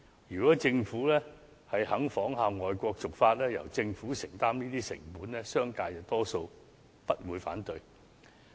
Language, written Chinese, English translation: Cantonese, 如果政府願意仿效外國的做法，由政府承擔這些成本，商界多數也不會反對。, If the Government is willing to follow the overseas practice by shouldering the costs the business sector most likely will not voice any objection